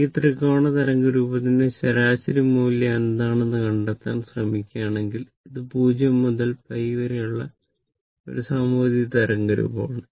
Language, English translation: Malayalam, If you try to find out what is the average value of this triangular wave form ah, it is a symmetrical wave form in between 0 to pi right